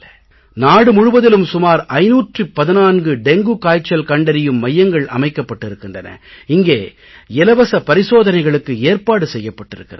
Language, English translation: Tamil, In the entire country about 514 centers have facilities for testing dengue cases absolutely free of cost